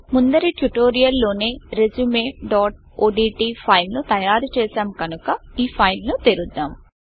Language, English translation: Telugu, Since we have already created a file with the filename resume.odt in the last tutorial we will open this file